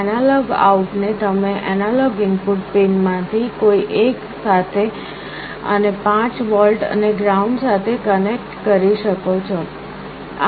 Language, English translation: Gujarati, The analog out you can connect to one of the analog input pins and 5 volts and ground